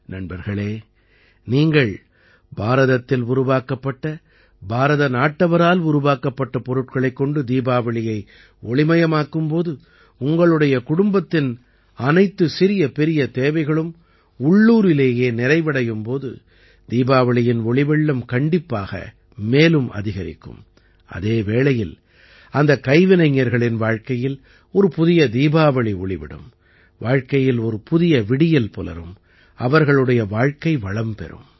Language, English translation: Tamil, Friends, when you brighten up your Diwali with products Made In India, Made by Indians; fulfill every little need of your family locally, the sparkle of Diwali will only increase, but in the lives of those artisans, a new Diwali will shine, a dawn of life will rise, their life will become wonderful